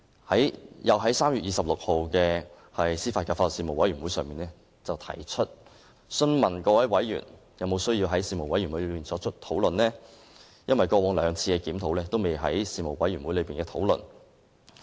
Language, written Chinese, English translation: Cantonese, 我又在3月26日的司法及法律事務委員會會議上，詢問各位委員是否有需要在事務委員會上進行討論，因為過往兩次檢討，均不曾在事務委員會進行討論。, In the AJLS Panel meeting on 26 March I also consulted members of the need to discuss the proposed amendment despite the fact that similar amendments were not discussed in the AJLS Panel during the previous two adjustments